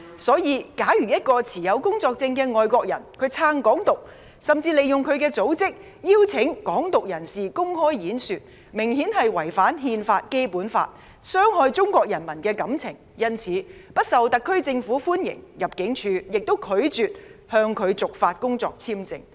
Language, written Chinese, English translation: Cantonese, 所以，假如一個持有工作簽證的外國人支持"港獨"，甚至利用他的組織邀請"港獨"人士公開演說，明顯違反《憲法》和《基本法》，傷害中國人民的感情，他自然不受特區政府歡迎，入境處亦拒絕向他續發工作簽證。, As such if an expatriate holding a work visa supports Hong Kong independence and even uses his organization to invite a Hong Kong independence activist to give a public speech he has obviously violated the Constitution and the Basic Law and hurt the feelings of Chinese people . Naturally he will not be welcomed by the SAR Government and ImmD will also refuse to renew his work visa